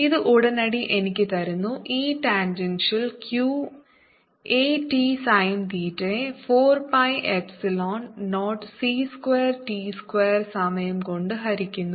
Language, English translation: Malayalam, and this immediately gives me: e tangential is equal to q a t sin theta divided by four pi, epsilon zero, c square, p square time c